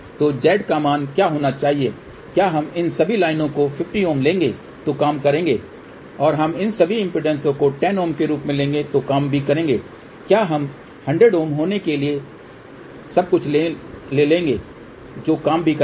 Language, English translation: Hindi, So, what should be the value of Z, shall we take all these lines 50 ohm that will do the job shall we take all these impedances as 10 ohm that will also do the job, shall we take everything to be 100 ohm that will also do the job